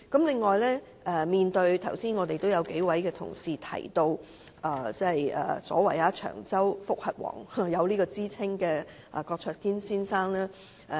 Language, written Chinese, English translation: Cantonese, 此外，剛才數位同事提到有"長洲覆核王"之稱的郭卓堅先生。, Moreover just now several colleagues mentioned Mr KWOK cheuk - kin who is often referred to as King of Judicial Reviews from Cheung Chau